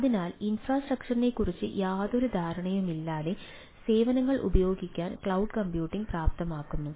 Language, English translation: Malayalam, so cloud computing enables services to be used without any understanding of the infrastructure, right ah